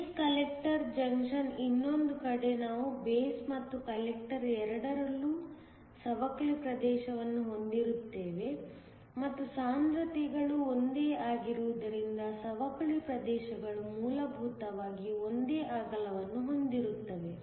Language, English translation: Kannada, The other hand for the base collector junction, we will have the depletion region both in the base and the collector; and since the concentrations are the same the depletion regions are essentially of the same width